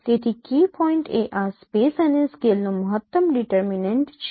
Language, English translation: Gujarati, So, key point is maximum determinant of this over space and scale